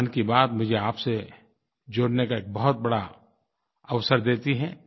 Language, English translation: Hindi, 'Mann Ki Baat' gives me a great opportunity to be connected with you